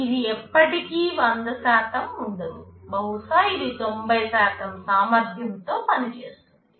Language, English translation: Telugu, So, it will never be 100%, maybe it is working in 90% efficiency